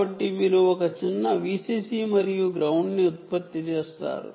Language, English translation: Telugu, so you will generate a small v c c and ground